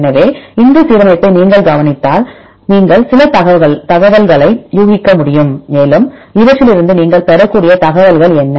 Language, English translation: Tamil, So, if you look into this alignment you can infer some information and what are information you can obtain from these